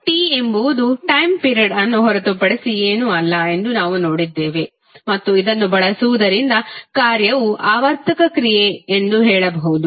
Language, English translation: Kannada, Now, as we have seen that capital T is nothing but time period and using this we can say that the function is periodic function